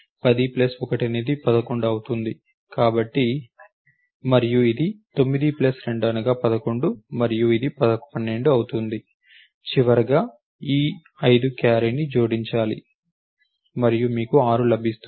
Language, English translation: Telugu, 0 plus 1 is 1 2 plus 1 is 3 3 plus 2 is 5 4 plus 3 is 7 9 11 therefore, this becomes 6 plus 5 11 over here and 1 is carry